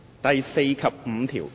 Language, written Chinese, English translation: Cantonese, 第4及5條。, Clauses 4 and 5